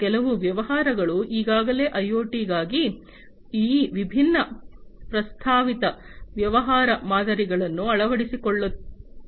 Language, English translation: Kannada, And some of the businesses are already adopting these different proposed business models for IoT